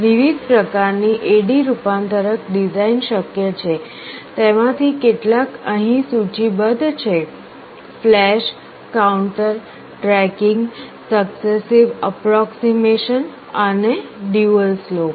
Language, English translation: Gujarati, Various types of A/D converter designs are possible, some of them are listed here flash, counter, tracking, successive approximation and dual slope